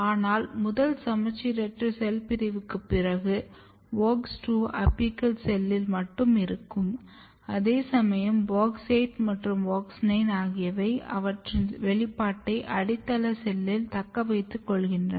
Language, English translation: Tamil, But after first asymmetric cell division WOX2 is restricted to the apical cell which is smaller in size whereas, WOX 8 and WOX 9 they retain their expression in the basal cell